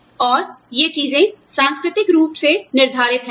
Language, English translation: Hindi, And, these things are, culturally determined